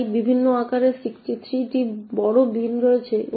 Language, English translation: Bengali, So there are also 63 large bins of various sizes